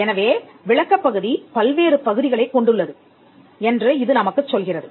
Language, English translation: Tamil, So, this tells us that the description comprises of various parts